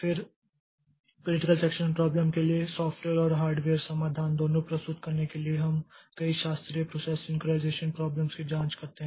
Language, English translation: Hindi, Then to present both software and hardware solutions for the critical section problem, to examine several classical process synchronization problems